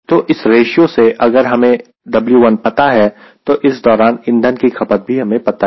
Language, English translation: Hindi, so from this ratio, if i know w one, i know during this length how much fuel is consumed